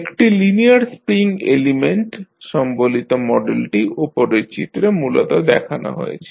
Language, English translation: Bengali, The model representing a linear spring element is basically shown in the figure above